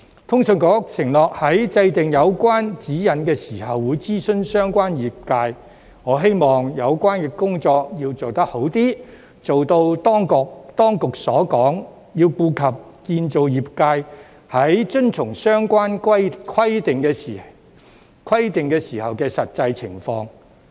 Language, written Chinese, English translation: Cantonese, 通訊事務管理局承諾在制訂有關指引時會諮詢相關業界，我希望有關工作要做好一些，做到當局所說，要顧及建造業界在遵從相關規定時的實際情況。, The Communications Authority has undertaken to consult the sector when formulating the guidelines . I hope that the relevant work will be done more properly so as to keep the word of the authorities by taking into account the actual situation of the construction sector in complying with the requirements